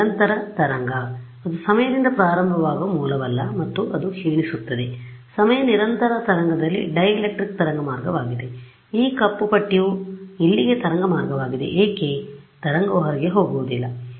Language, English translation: Kannada, Continuous wave it is not that source that starts in time and that decays in time continuous wave the dielectric is the waveguide this black strip over here is the waveguide why would not the wave go out ok